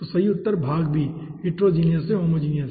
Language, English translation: Hindi, okay, so correct answer is part b, heterogeneous to homogeneous